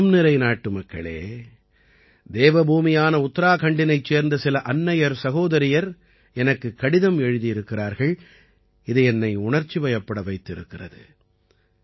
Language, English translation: Tamil, My dear countrymen, the letters written by some mothers and sisters of Devbhoomi Uttarakhand to me are touchingly heartwarming